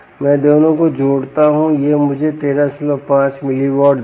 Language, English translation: Hindi, i add both of it will give me thirteen point five miliwatts